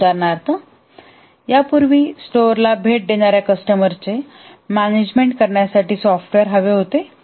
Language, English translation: Marathi, Earlier, for example, wanted a software to, let's say, manage the customers who visit the store